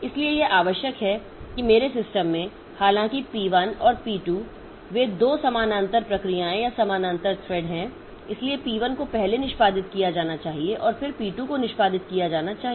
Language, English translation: Hindi, So, it is required that in my system, though p1 and p2 they are two parallel processes or parallel threads, so, so p1 should be executed first and then only p2 should be executed